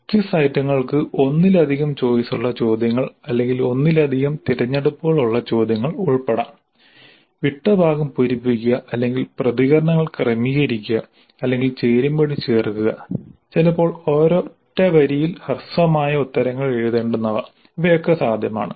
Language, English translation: Malayalam, The quiz items can belong to multiple choice questions or multiple select questions, fill in the blanks or rank order the responses or match the following, sometimes even very short answers, one single line kind of answers are also possible